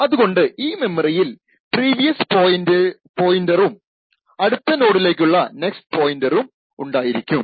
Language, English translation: Malayalam, So, these memory contains has previous and next pointers to the next nodes in the linked list